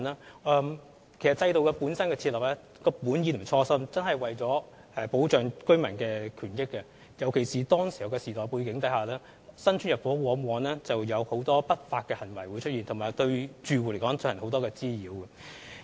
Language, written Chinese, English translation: Cantonese, 設立制度的本意及初衷真的是為了保障居民的權益，尤其是在當時的時代背景之下，新屋邨入伙時往往出現很多不法行為，對住戶造成很多滋擾。, The original intention and aim of the set - up of the System were to protect residents interests particularly in such a historical context back then when many illegal activities arose during the intake of newly completed housing estates causing a lot of disturbances to residents